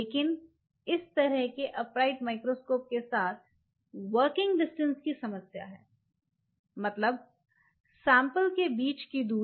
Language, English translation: Hindi, But the problem with such upright microscopes are the working distance means, this distance between the sample